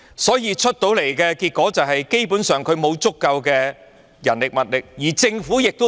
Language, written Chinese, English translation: Cantonese, 所以，得出的結果是，港鐵公司基本上沒有足夠的人力和物力，而政府也沒有。, In consequence MTRCL basically does not have enough manpower and resources and neither does the Government